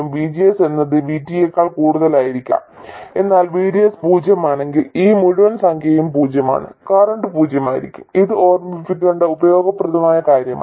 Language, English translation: Malayalam, VGS could be more than VT but if VDS is 0 this entire number is 0 and the current will be 0 and that is a useful thing to remember also